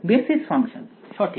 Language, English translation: Bengali, Basis functions right